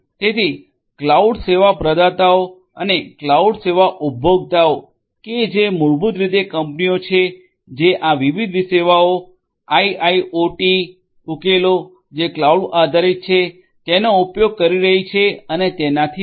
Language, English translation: Gujarati, So, cloud service provider and the cloud service consumer who are basically this companies which are using these different services the IIoT solutions which are cloud based and so on